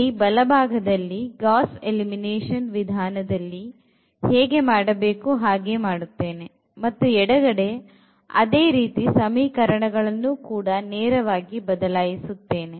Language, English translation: Kannada, So, the right hand side here I will be basically doing precisely what we do in Gauss elimination method and the left hand side we will be doing the same thing with the equations directly